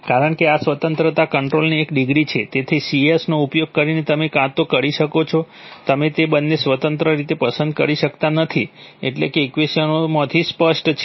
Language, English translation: Gujarati, Because this is a one degree of freedom controller, so using C you can either you can, you cannot select both of them independently, right, that is, that is obvious from the equations